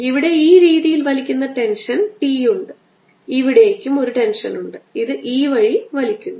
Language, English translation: Malayalam, now let us look at this part here there is tension, t pulling it this way there is tension, t pulling it